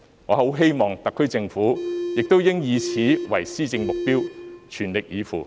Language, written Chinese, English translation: Cantonese, 我希望特區政府亦應以此為施政目標，全力以赴。, I hope the SAR Government will take this as the objective of its governance and do its utmost to achieve it